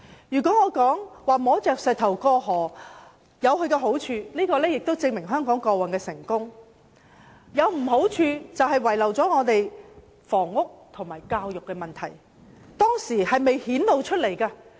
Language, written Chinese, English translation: Cantonese, 如果我說摸着石頭過河有好處，這便證明香港過往有成功之處，但壞處是前任政府把房屋和教育問題遺留下來。, Crossing the river by feeling the stone has it merits as evidence by the fact that Hong Kong was successful in the past yet the demerit is that the previous governments had left behind the housing and education problems